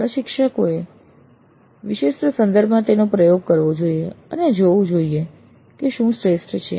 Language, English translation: Gujarati, So, the instructors have to experiment in their specific context and see what works best